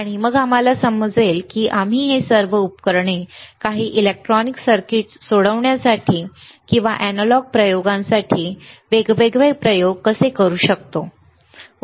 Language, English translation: Marathi, And then we understand that how we can use this all the equipment to solve some electronic circuits or to or to use different experiments to analog experiments, right